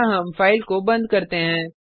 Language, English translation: Hindi, Here we close the file